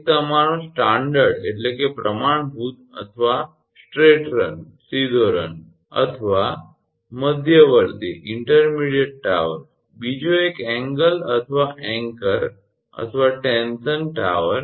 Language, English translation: Gujarati, One is the standard your or straight run or intermediate tower, another one the angle or anchor or tension tower